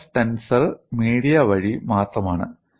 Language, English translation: Malayalam, Stress tensor is only a via media